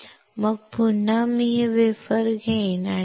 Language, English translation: Marathi, Then again, I will take this wafer and rinse it in DI